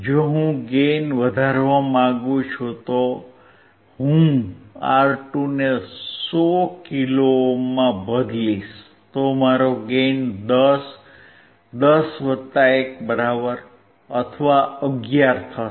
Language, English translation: Gujarati, If I want to increase the gain then I change R2 to 100 kilo ohm, then my gain would be 10, 10 plus 1 or 11